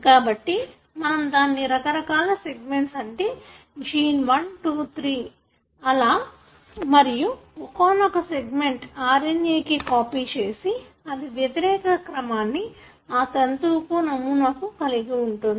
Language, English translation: Telugu, So, that you call as different segments, which are, gene 1, 2, 3 and so on and one of the segments is copied into an RNA and that would have the complimentary sequence of this strand that serves as the template